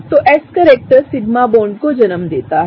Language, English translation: Hindi, So, s character gives rise to sigma bonds